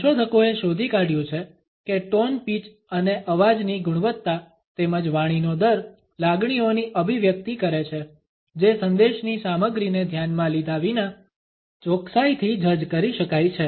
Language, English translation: Gujarati, Researchers have found that the tone pitch and quality of voice as well as the rate of speech conveys emotions that can be accurately judged regardless of the content of the message